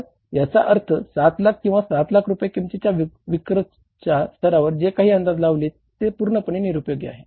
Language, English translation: Marathi, So, it means whatever the budgeted budgetary exercise you did at the level of 7 lakh units or 7 lakh worth of sales that is totally useless